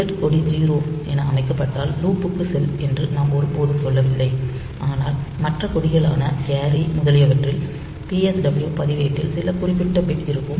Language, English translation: Tamil, So, we have never said that if the 0 flag is set go to 0 or go to the loop go to the loop point, but otherwise so other flags carry etcetera so we have got some specific bit in the PSW register, but for 0 flag we do not have any such PSW bit